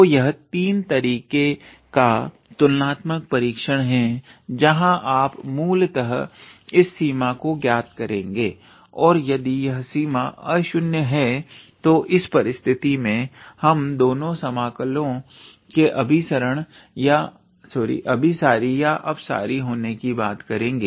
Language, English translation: Hindi, So, this is a third type of comparison test where you basically evaluate this limit and if that limit is non zero then in that case we can talk about the convergence or divergence of these 2 integrals